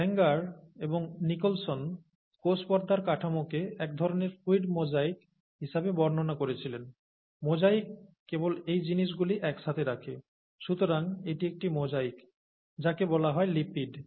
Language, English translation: Bengali, So Sanger and Nicholson described the structure of a cell membrane as some kind of a ‘fluid mosaic’; mosaic is just these things put in together, so this is a mosaic of, what are called ‘lipids’